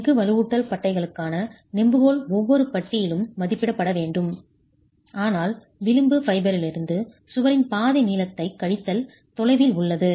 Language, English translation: Tamil, The lever arm for the steel reinforcement bars has to be estimated for each bar as nothing but the distance from the edge fiber minus half the length of the wall